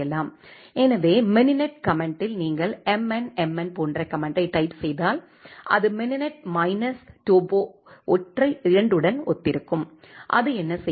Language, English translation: Tamil, So, in the mininet command if you type the command like mn mn is corresponds to the mininet minus topo single 2 what it will do